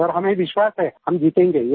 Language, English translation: Hindi, Sir we believe we shall overcome